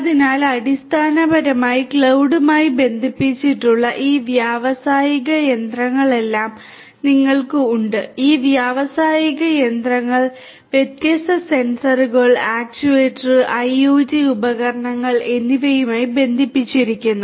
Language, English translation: Malayalam, So, you have all these different industrial machinery that are basically connected to the cloud, these industrial machinery they themselves are attached to different sensors, actuators, IoT devices overall and so on